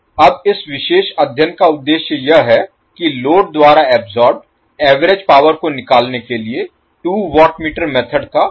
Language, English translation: Hindi, Now the objective for this particular study is that will apply two watt meter method to find the average power absorbed by the load